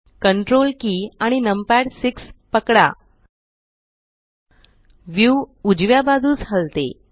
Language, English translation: Marathi, Hold Ctrl numpad 6 the view pans to the right